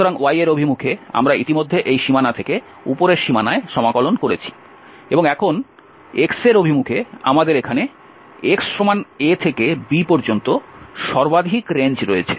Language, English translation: Bengali, So in the direction of y we have integrated already from this boundary to the upper boundary and now in the direction of x we have the maximum range here from x a to b